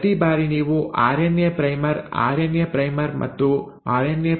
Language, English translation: Kannada, Every time you have a RNA primer,RNA primer and a RNA primer